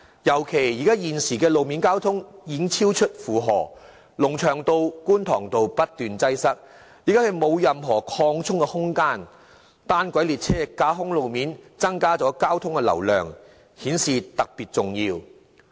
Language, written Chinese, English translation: Cantonese, 尤其現時路面交通已經超出負荷，龍翔道、觀塘道不斷出現交通擠塞，已經沒有任何擴充空間，而架空路面運行的單軌列車容許交通流量增加，因而顯得特別重要。, Running on tracks elevated above ground monorail trains will allow an increase in traffic volume . This is particularly important since the traffic volume has already exceeded the road capacity for the time being where Lung Cheung Road and Kwun Tong Road are constantly fraught with traffic jams and no room is left for expansion